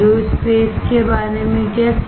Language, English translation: Hindi, What about aerospace